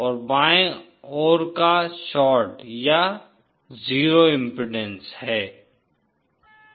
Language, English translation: Hindi, And the left hand side is short or 0 impedance